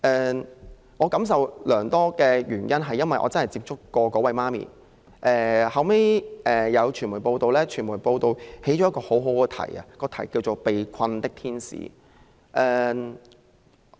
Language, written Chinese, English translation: Cantonese, 我之所以感受良多，是因為我曾親自與該名母親接觸，後來我看到傳媒報道，並選用了一個很好的標題，就是"被困的天使"。, I have been so deeply moved because I have met the mother in person . Later I came across media reports about her story under a very inspiring title A trapped angel